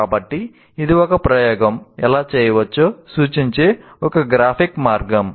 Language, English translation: Telugu, So this is one graphic way of representing how an experiment can be done